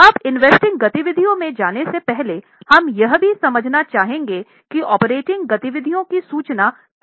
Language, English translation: Hindi, Now, before going to investing activities, we also would like to understand how are the operating activities reported